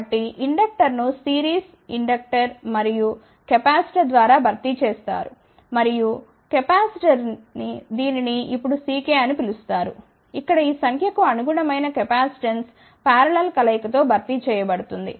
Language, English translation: Telugu, So, inductor has be replaced by series, inductor and capacitor and the capacitor over here which has been not termed as C k, that capacitance corresponding to this number here is to be replaced by parallel combination